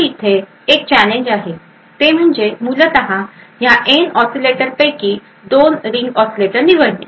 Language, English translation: Marathi, So a challenge over here would essentially pick choose 2 ring oscillators out of the N oscillators